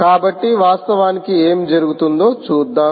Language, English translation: Telugu, so lets see what actually happens there